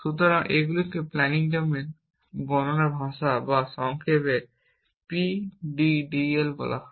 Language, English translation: Bengali, So, these are called planning domain, description language or in short PDDL and there are versions of PDDL